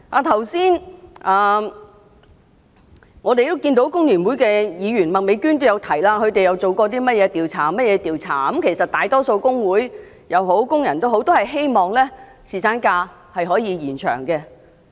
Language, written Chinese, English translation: Cantonese, 剛才，工聯會的麥美娟議員也提到他們進行過一些調查，而其實大多數工會和工人都希望延長侍產假。, Earlier Ms Alice MAK of FTU mentioned that they had conducted some surveys . In fact most of the trade unions and workers hope that paternity leave can be extended